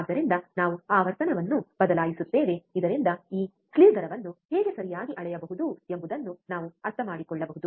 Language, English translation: Kannada, So, we change the frequency so that we can understand how this slew rate can be measure ok